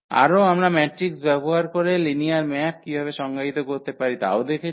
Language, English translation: Bengali, Further, we have also looked at this using matrices how to define the linear maps